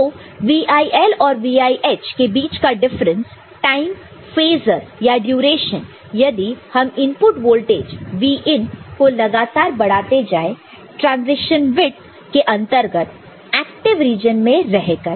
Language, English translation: Hindi, So, the difference between VIL and VIH the time, the phase or the duration, if we are continuously increasing the Vin, input voltage that is being in your transition width; the active region in which where it is staying ok